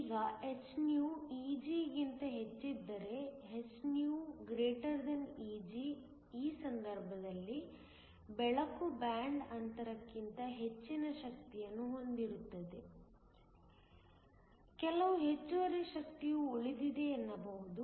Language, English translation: Kannada, Now if hυ is greater than Eg, if hυ > Eg in which case light has energy greater than the band gap, there is some excess energy that is left